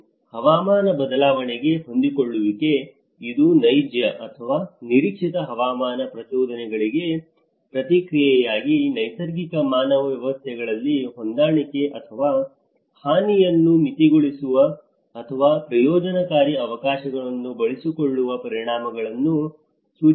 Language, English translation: Kannada, And adaptation to climate change; it refers to adjustment in natural human systems in response to actual or expected climatic stimuli or their effects which moderates harm or exploits beneficial opportunities